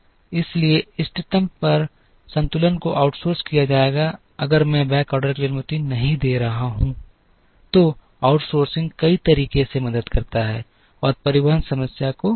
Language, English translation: Hindi, So, at the optimum the balance would be outsourced, if I am not allowing for backorder, so outsourcing helps in multiple ways and prevents infeasibility to the transportation problem